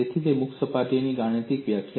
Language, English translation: Gujarati, So, that is the mathematical definition of a free surface